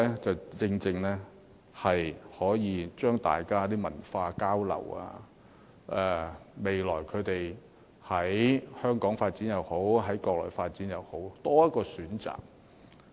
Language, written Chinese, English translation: Cantonese, 這正正可以讓大家進行文化交流，未來他們無論在香港發展也好、在國內發展也好，總有多一個選擇。, The funding scheme provides an opportunity for cultural exchanges so that they can have an additional option for career development no matter in Hong Kong or in the Mainland